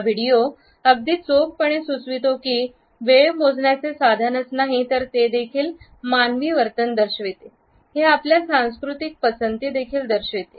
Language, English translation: Marathi, As this video very aptly suggest, time is not only a measuring instrument, it also indicates human behavior; it also indicates our cultural preferences